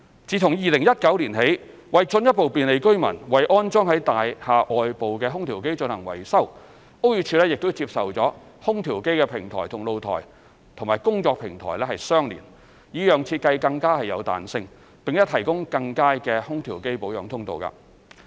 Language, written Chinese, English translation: Cantonese, 自2019年起，為進一步便利居民為安裝於大廈外部的空調機進行維修，屋宇署接受空調機平台與露台及/或工作平台相連，以讓設計更有彈性，並提供更佳的空調機保養通道。, Since 2019 to further facilitate the maintenance of air - conditioners AC installed at the exterior of buildings BD has accepted an AC platform to combine with a balcony andor a utility platform . The arrangement encourages flexible design and provides better maintenance access to ACs